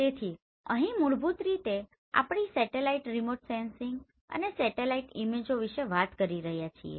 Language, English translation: Gujarati, So here basically we are talking about the satellite remote sensing, satellite images